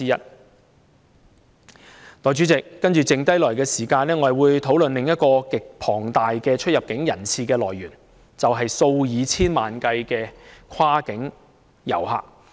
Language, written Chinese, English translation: Cantonese, 代理主席，在餘下的時間，我將會討論另一個極龐大的出入境人次的來源，就是數以千萬計的跨境遊客。, Deputy Chairman in my remaining speaking time I will talk about another root cause of the huge number of visitor arrivals and departures that is the tens of millions of cross - boundary tourists